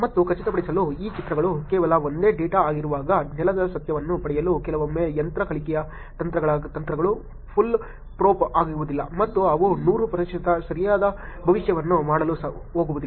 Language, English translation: Kannada, And to confirm, to get ground truth when this pictures are just the same data sometimes if the techniques that are machine learning techniques are not going to be fool proof and they are not going to make 100 percent right prediction